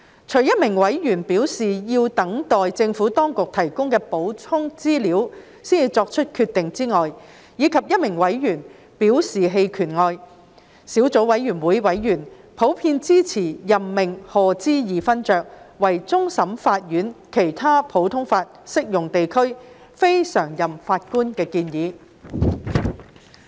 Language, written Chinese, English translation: Cantonese, 除一名委員表示要等待政府當局提供的補充資料才作決定，以及一名委員表示棄權外，小組委員會委員普遍支持任命賀知義勳爵為終審法院其他普通法適用地區非常任法官的建議。, With the exception of a member who has indicated the wish to wait for the supplementary information provided by the Government before making the decision and another member who has decided to abstain from voting members of the Subcommittee in general support the proposed appointment of Lord HODGE as a CLNPJ